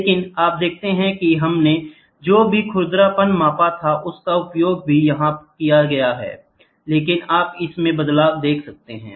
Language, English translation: Hindi, But you see whatever we used roughness measuring is also used here but you see the change